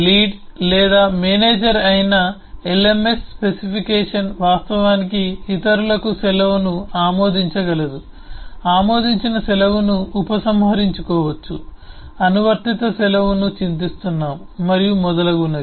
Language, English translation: Telugu, those who are le lead or manager, the lms specification say can actually approve the leave for others, can revoke an approved leave, can regret an applied leave and so on